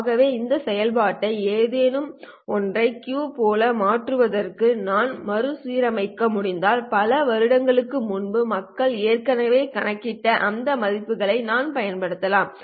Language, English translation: Tamil, So if I can rearrange this function to look like Q of something, then I can use those values which people have already computed many, many years ago